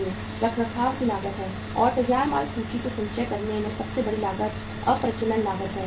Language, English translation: Hindi, Maintenance cost is there and the biggest cost in storing the finished goods inventory is of the obsolescence cost